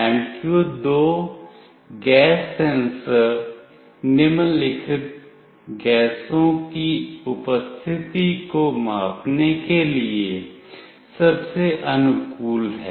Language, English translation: Hindi, MQ2 gas sensor is most suited to measure the presence of the following gases